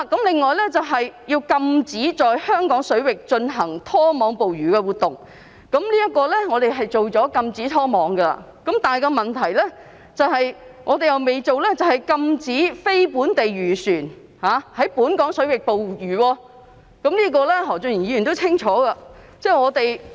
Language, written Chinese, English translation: Cantonese, 另外要禁止在香港水域進行拖網捕魚活動，就此，我們已禁止拖網捕魚，但我們尚未禁止非本地漁船在本港水域捕魚，何俊賢議員也清楚知道此事。, Besides it is necessary to ban trawling in Hong Kong waters . In this connection we have banned trawling but we have not yet prohibited fishing by non - local vessels in Hong Kong waters . Mr Steven HO is also well aware of this